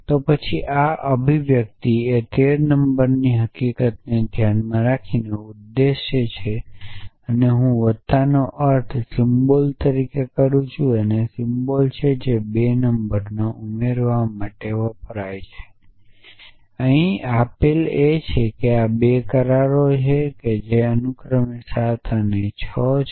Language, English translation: Gujarati, Then these expression stands for the number 13 given the fact that I am interpreting the plus as a addition symbol a symbol which stands for addition of 2 numbers and given that am giving this 2 agreements which respectively stands for 7 and 6